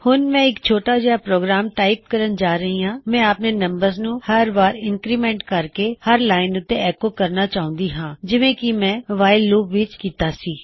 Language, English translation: Punjabi, Now Im going to type a little program I want the numbers to increment each time and echo on each line as Ive done in my WHILE loop